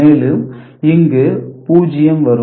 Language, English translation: Tamil, And then 0